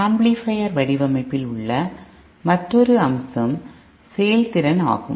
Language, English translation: Tamil, Another aspect of amplifier design which is the efficiency aspect